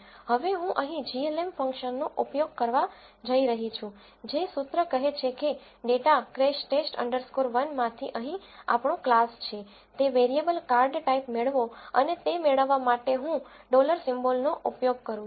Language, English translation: Gujarati, Now, I am going to use the glm function the formula here says that get the variable card type which is our class here from the data crashTest underscore 1 and to access it I use a dollar symbol